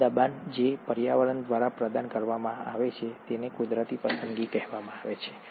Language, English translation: Gujarati, This pressure, which is provided by the environment is what is called as the ‘natural selection’